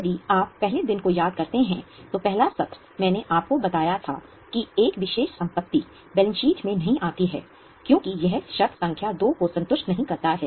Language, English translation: Hindi, If you remember, on day one, the first session, I had told you that a particular asset doesn't come in balance sheet because it does not satisfy condition number two